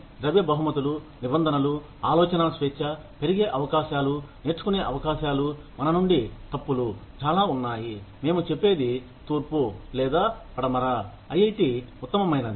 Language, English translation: Telugu, But, the non monetary rewards, in terms of, freedom of thought, opportunities to grow, opportunities to learn, from our mistakes, are, so many, that we say, east or west, IIT is the best